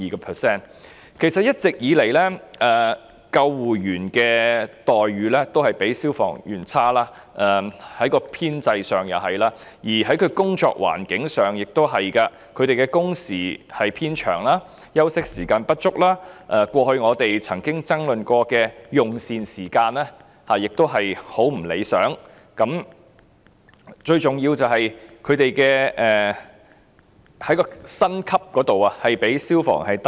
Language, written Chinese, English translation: Cantonese, 其實一直以來，救護人員的待遇都較消防人員差，編制如是，工作環境亦如是，他們的工時偏長、休息時間不足，過去我們曾經爭論的用膳時間亦很不理想，最重要的是，他們的薪級較消防人員低。, In fact ambulance personnel have always been treated less favourably than fire personnel whether in terms of their establishment or working environment . Their working hours are relatively longer with inadequate rest time and the arrangement for meal breaks over which we have argued in the past is very unsatisfactory as well . Most importantly their pay points are lower than that of fire personnel